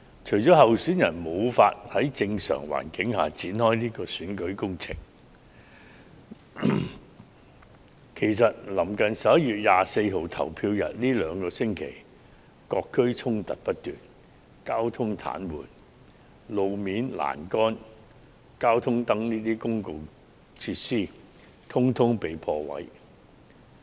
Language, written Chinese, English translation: Cantonese, 除了候選人無法在正常環境下展開選舉工程，其實臨近11月24日投票日的兩星期，各區衝突不斷，導致交通癱瘓，而道路表面、欄杆及交通燈等公共設施全被破壞。, Candidates cannot conduct election campaigns in a normal environment . Besides in the two weeks running up to the polling day on 24 November clashes have broken out in different districts causing traffic paralysis and public facilities such as roads railings and traffic lights have been vandalized